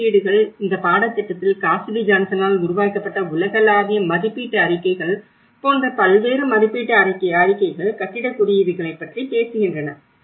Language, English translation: Tamil, And assessments, how we come across in this course, various assessment reports like global assessment reports which is by Cassidy Johnson, where they talk about the building codes